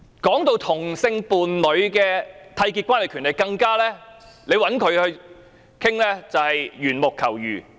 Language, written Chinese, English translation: Cantonese, 談到同性伴侶締結關係的權利，找她討論，更加是緣木求魚。, With regard to the right of homosexual couples to enter into a union I would describe the discussion with her as climbing a tree to catch fish